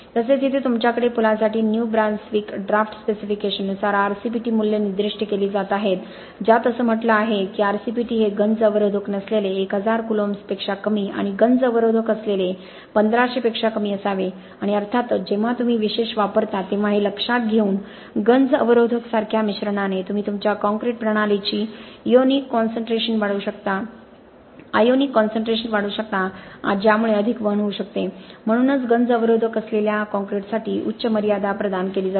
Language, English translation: Marathi, So here you have RCPT values being specified by the New Brunswick draft specification for bridges which says that RCPT should be less than 1000 columns without corrosion inhibitor and less than 1500 with corrosion inhibitor and of course taking into consideration of the fact that when you use specialized admixtures like corrosion inhibitors, you can increase the ionic concentrations of your concrete systems that may lead to more conduction that is why a higher limit is provided for concrete with corrosion inhibitors